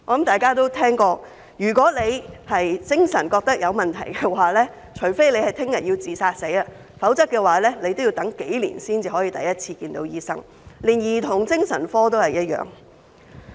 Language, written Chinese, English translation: Cantonese, 大家想必聽過，如果病人自覺精神有問題，除非明天便要自殺，否則也要等上數年才可第一次見到醫生；兒童精神科的情況亦然。, We may have heard that if a mental patient wants to get treated he will have to wait for years to receive his first consultation unless he is intending to commit suicide . The situation is as bad in the Child Psychiatric Department